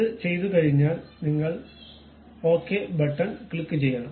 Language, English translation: Malayalam, Once it is done, you have to click Ok button